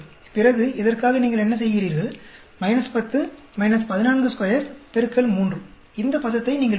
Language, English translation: Tamil, Then for this what do you do minus 10, minus 14 square multiply by 3, you get this term